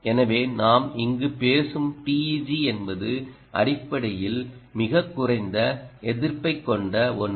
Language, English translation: Tamil, ah, so the teg that we are talking here is, which is essentially something that has very low resistance